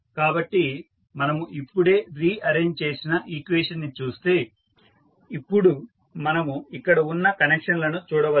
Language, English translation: Telugu, So, if you see the equation which we have just rearranged so what we can now see we can see the connections